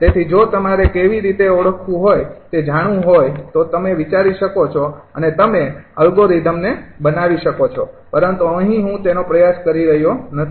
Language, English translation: Gujarati, so if you want how to identify, you can think and you can make the algorithm, but here i am not trying it, right